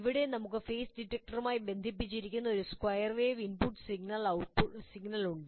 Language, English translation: Malayalam, That means you have an input signal which is square wave here to this and this is a phase detector